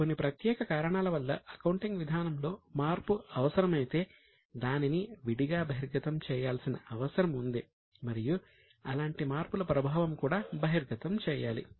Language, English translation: Telugu, If for some special reason the change in the accounting policy is necessary, it needs to be separately disclosed and the effect of such changes also required to be disclosed